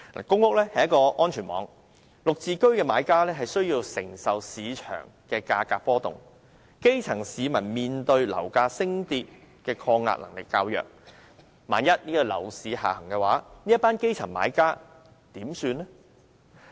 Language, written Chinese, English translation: Cantonese, 公屋是安全網，"綠置居"的買家需要承受市場價格波動，基層市民面對樓價升跌的抗逆能力較弱，萬一樓市下行，這群基層買家如何是好？, Public housing serves as a safety net yet GHS buyers have to bear the risk of price fluctuations in the market . If the property market trends down what will become of these grass - roots buyers given their resilience against fluctuations in property prices is less robust?